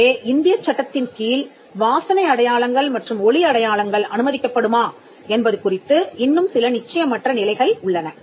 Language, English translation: Tamil, So, there is still some uncertainty as to whether smell marks and sound marks will be allowed under the Indian law